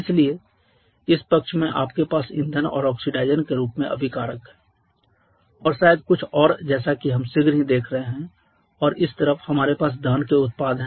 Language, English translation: Hindi, So, this side you have the reactants in the form of fuel and oxidizer and maybe something else as we shall be seeing shortly and we said we have the combustion products